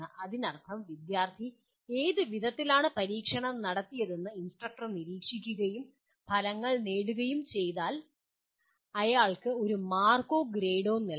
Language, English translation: Malayalam, That means once the instructor observes to in what way the student has performed the experiment and got the results he will give a mark or a grade to that